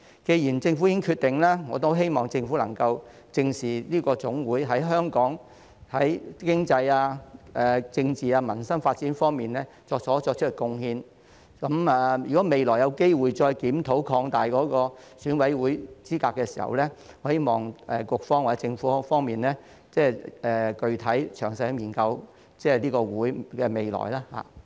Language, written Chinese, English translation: Cantonese, 既然政府已經作出決定，我希望政府能夠正視這個總會對香港的經濟、政治、民生發展所作出的貢獻，如果未來有機會再檢討擴大選委會資格的時候，我希望局方或政府可以具體、詳細地研究這個總會的未來。, Now that the Government has already made a decision I hope the Government would seriously take into consideration the contribution of this Federation to the development of the economy politics and peoples livelihood in Hong Kong . I hope the Bureau or the Government would study specifically and in detail the way forward of this Federation if the opportunity to review an expansion of EC membership arises in the future